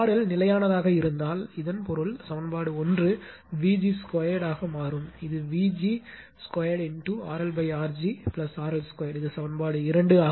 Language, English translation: Tamil, If R L is held fixed, so that means, equation one will become your V g square upon this is vg square into R L upon R g plus R L square this is equation 2 right